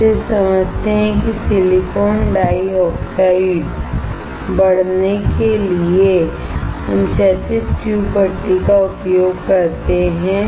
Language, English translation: Hindi, We just understand that for growing the silicon dioxide, we use horizontal tube furnace